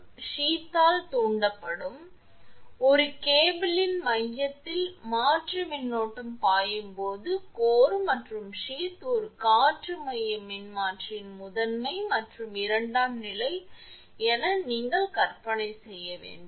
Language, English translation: Tamil, So, when alternating current flows in the core of a cable, the core and the sheath act as the primary and secondary of an air core transformer this way you have to imagine